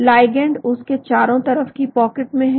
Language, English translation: Hindi, ligands are in the pocket surrounding that